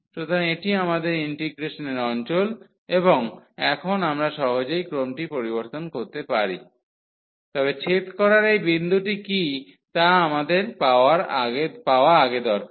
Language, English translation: Bengali, So, this is our region of integration and now we can easily change the order, but before we need to get what is this point of intersection